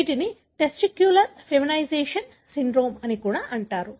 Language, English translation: Telugu, These are also called as testicular feminisation syndrome